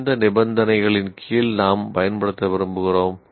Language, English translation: Tamil, Under what conditions do we want to use